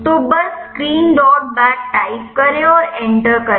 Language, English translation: Hindi, So, just type screen dot bat and give enter